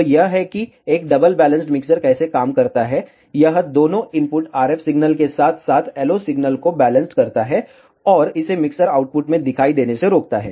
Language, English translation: Hindi, So, this is how a double balanced mixer works, it balances out both the input RF signal as well as the LO signal, and prevent it to appear in the mixer output